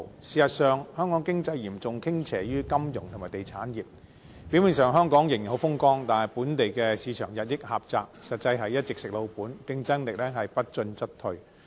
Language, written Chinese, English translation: Cantonese, 事實上，香港經濟嚴重傾斜於金融及地產業，表面上香港仍然很風光，但本地市場日益狹窄，實際是一直"食老本"，競爭力不進則退。, Actually the Hong Kong economy is heavily tilted towards the financial and real estate industries and this gives Hong Kong a veneer of prosperity . But underneath this the local market has kept shrinking driving our city to live off its savings . At the same time our competitiveness has kept dwindling due to the lack of progress